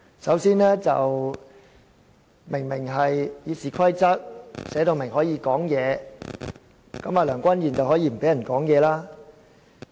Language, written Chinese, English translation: Cantonese, 首先，《議事規則》清楚訂明議員可以發言，梁君彥議員卻可以不讓議員發言。, First RoP clearly stipulates that Members may speak but Mr Andrew LEUNG can disallow them to do so